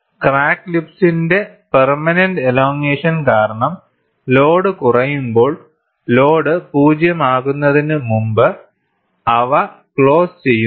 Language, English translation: Malayalam, When the load is reduced, due to permanent elongation of the crack lips, they close before the load is 0